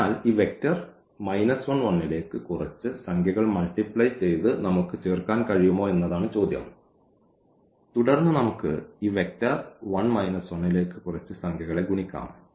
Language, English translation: Malayalam, So, now the question is can we add by multiplying some number to this vector minus 1 and 1 And, then the multi we can multiply some number to this vector 1 and minus 1